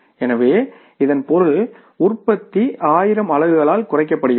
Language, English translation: Tamil, So, it means there is a reduction by the production by 1,000 units